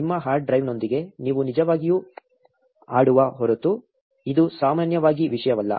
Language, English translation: Kannada, It does not usually matter unless you are really playing around with your hard drive